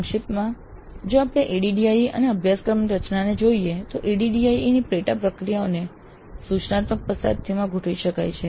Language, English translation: Gujarati, So, in summary if you look at ADD and course design, the sub process of ADE can be adjusted to instructional situation on hand